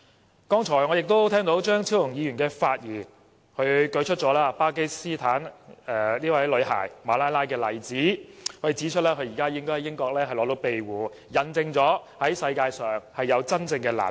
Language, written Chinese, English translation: Cantonese, 我剛才聽到張超雄議員發言，他舉出巴基斯坦女孩馬拉拉的例子，指出她現時應該在英國獲得庇護，引證世界上有真正難民。, Just now I heard Dr Fernando CHEUNG cite the example of Malala YOUSAFZAI a Pakistani girl who has been granted asylum in the United Kingdom . She herself is a proof that there are genuine refugees in the world